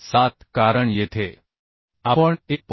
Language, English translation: Marathi, 5 why I am coming so 1